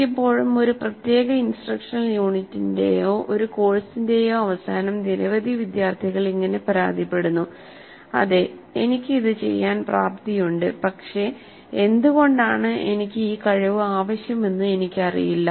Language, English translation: Malayalam, Quite often it happens that many students do complain at the end of a particular instructional unit or even a course that yes I am capable of doing it but I really do not know why I need to have this competency